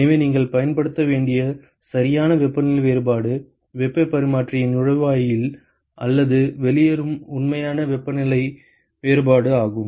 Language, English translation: Tamil, So, the correct temperature difference that you should use is the actual temperature difference either at the inlet or the exit of the heat exchanger